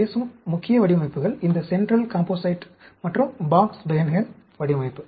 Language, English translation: Tamil, The main designs I will talk about is this central composite and Box Behnken design